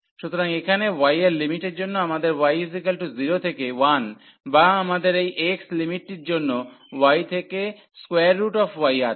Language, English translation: Bengali, So, for y limits here we have y 0 to 1 or we have for this x limit we have y to square root y